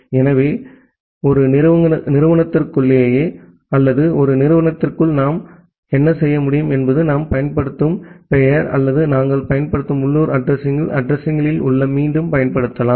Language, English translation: Tamil, So, what we can do possibly that within an organization or within an institute possibly the name that we are using or the addresses the local addresses that we are using that can get reused